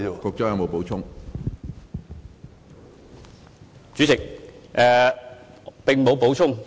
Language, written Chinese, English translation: Cantonese, 主席，我沒有補充。, President I have nothing to add